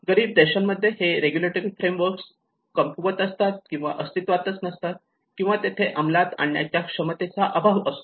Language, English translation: Marathi, Here in poorer countries, the regulatory frameworks are weak or absent, or the capacity to enforce them is lacking